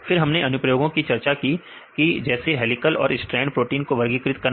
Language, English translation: Hindi, Then we discussed about the applications like classifying, the helical and strand proteins right